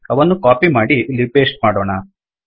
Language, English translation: Kannada, Let me copy this and paste this